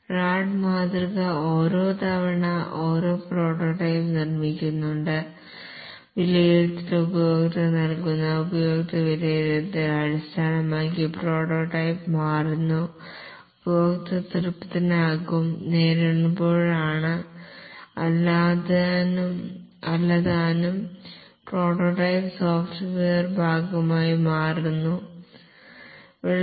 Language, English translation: Malayalam, The Rad model model each time constructs a prototype and gives to the customer for evaluation and based on the customer evaluation the prototype is changed and as the customer gets satisfied the refined prototype becomes the part of the software